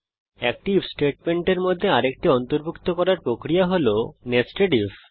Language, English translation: Bengali, This process of including an if statement inside another, is called nested if